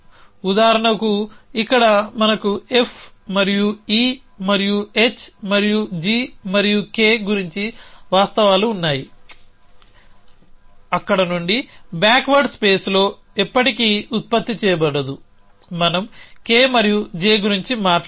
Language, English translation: Telugu, So, for example, here we have facts about F and E and H and G and K there will never be generate it in the back ward face from there we will never talk about K and J